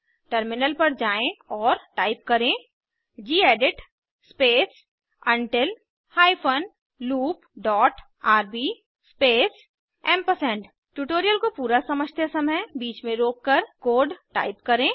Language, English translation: Hindi, Now let us switch to a terminal and type gedit space until hyphen loop dot rb space You can pause the tutorial, and type the code as we go through it